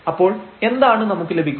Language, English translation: Malayalam, So, what do we get here